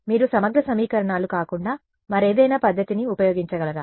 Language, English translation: Telugu, Can you use any other method other than integral equations